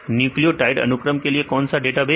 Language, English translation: Hindi, What database for the nucleotide sequence databases